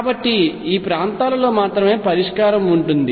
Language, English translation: Telugu, So, solution would exist only in these regions